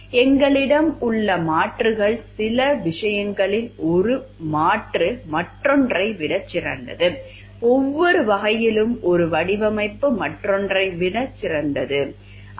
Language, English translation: Tamil, The alternatives that we have one alternative is better than the other doing some respects it is not like with every respect one design is better than the other